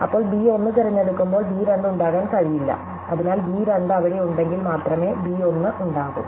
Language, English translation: Malayalam, Then, when b 1 is chosen b 2 cannot be there, so b 1 can be there only if b 2 can be there only b 1 is not there